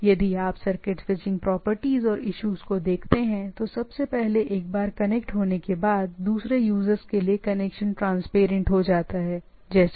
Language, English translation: Hindi, So, if you look at the switching circuit switching properties and issues, first of all once connected, it is some sort of a transparent, right